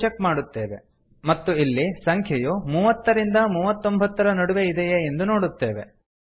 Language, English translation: Kannada, Here we check whether the number is in the range of 30 39